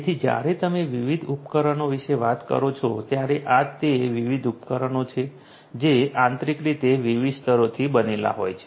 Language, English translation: Gujarati, So, when you talk about different devices these are the different devices that internally are composed of different different layers